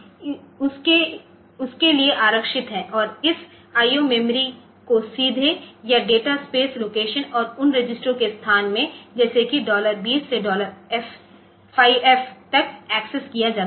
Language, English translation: Hindi, So, 64 locations are reserved for that and this I O memory can be accessed directly or as data space locations and the locations those of the registers like dollar 20 to dollar 5F